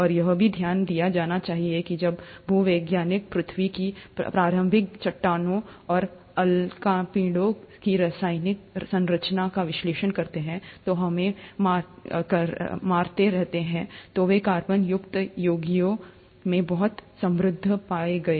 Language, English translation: Hindi, And, it should also be noted that when geologists went on analyzing the chemical composition of the early rocks of earth and the meteorites, which continue to keep hitting us, they were found to be very rich in carbonaceous compounds